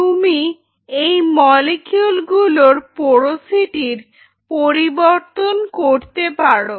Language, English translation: Bengali, Now what you can do is you can change the porosity of these molecules